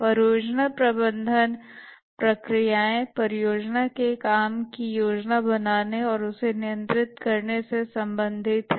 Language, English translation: Hindi, The project management processes are concerned with planning and controlling the work of the project